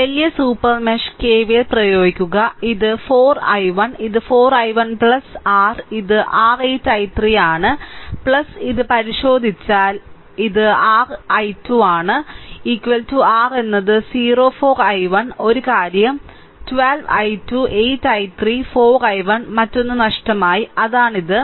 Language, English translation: Malayalam, So, this larger super mesh you apply KVL this is 4 i 1 this is 4 i 1 plus your this is your 8 i 3, right and plus this is your 12 i 2 right if you look into if you look into that is equal to your is 0 right 4 i 1 A one thing I have missed 12 i 2, 8 i 3, 4 i 1, another one, I have missed right; that is your this